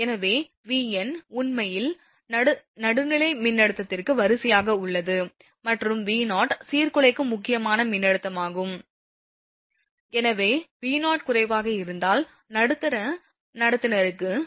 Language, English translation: Tamil, So, V n is actually line to neutral voltage and V 0 is disruptive critical voltage, so for the middle conductor if V 0 is less, then V n minus V 0 will be higher